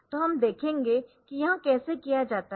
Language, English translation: Hindi, So, we will see how this is done